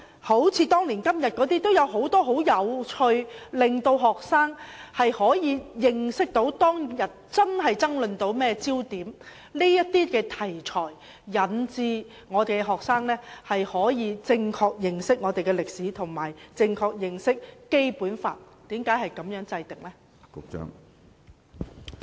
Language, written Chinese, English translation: Cantonese, 例如"當年今日"有很多很有趣的片段，令到學生可以認識當天發生了甚麼事件，大家爭論的焦點是甚麼，這些題材能夠令學生可以正確認識本港的歷史，以及《基本法》為何是如此制定。, For example there were some very interesting video clips in the television programme of One Day which could help students understand the major events that happened on a particular day in history and the focus of arguments . Through these materials students can properly learn the history of Hong Kong and why the Basic Law was formulated in this way